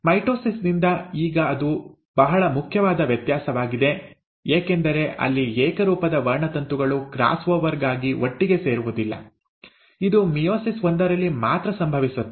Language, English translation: Kannada, Now that is the most important difference from mitosis, because there the homologous chromosomes are not pairing together for cross over, it happens only in meiosis one